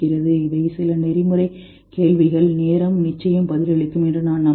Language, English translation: Tamil, These are some of the ethical questions which I am sure time will answer